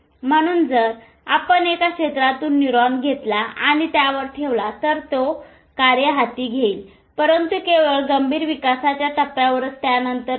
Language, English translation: Marathi, So, if you take a neuron from one area and put it to another, it will take up that function but only in the critical phase of development, not after that